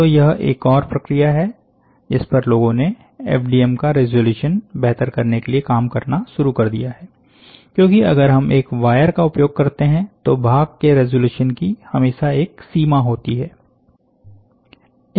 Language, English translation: Hindi, So, this is another process here people have started working, why because, to improve the resolution of the FDM, because if we use a wire, there is always a restriction in the feature resolution